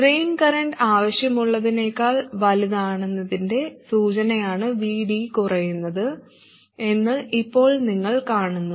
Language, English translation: Malayalam, Now you see that VD reducing is an indication that the drain current is larger than what is required and in that case we must actually increase VS